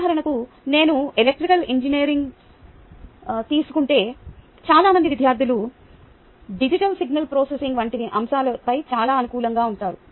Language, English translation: Telugu, for example, if i take electrical engineering, many students are very favorably disposed towards a topic such as which will single processing